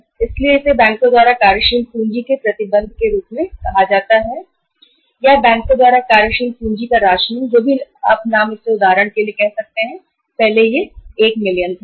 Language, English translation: Hindi, So that is called as restrictions of working capital by the banks or rationing of the working capital by the banks whatever the name you call it as but for example earlier it was 1 million